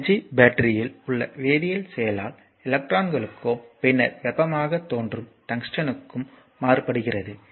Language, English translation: Tamil, So, thus energy is transferred by the chemical action in the battery to the electrons right and then to the tungsten where it appears as heat